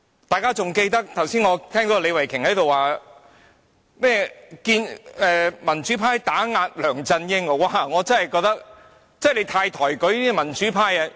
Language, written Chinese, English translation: Cantonese, 我剛才聽到李慧琼議員說民主派打壓梁振英，她真的太抬舉民主派。, Just now Ms Starry LEE said the democrats oppressed LEUNG Chun - ying . She really thinks too highly of the democratic camp